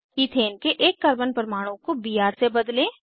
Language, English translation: Hindi, Replace one Carbon atom of Ethane with Br